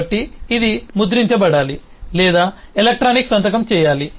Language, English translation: Telugu, so this will have to be printed or electronically signed and so on